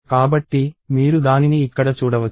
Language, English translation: Telugu, So, you can see that here